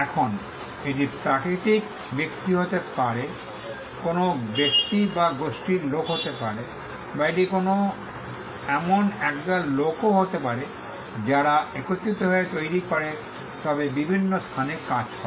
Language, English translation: Bengali, Now, this can be natural person, either an individual or a group of people, or it could also be a team of people who together come and create, but, working in different locations